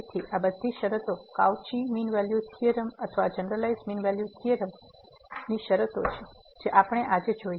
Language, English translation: Gujarati, So, all these conditions are the conditions of the Cauchy mean value theorem or the generalized mean value theorem we have just seen today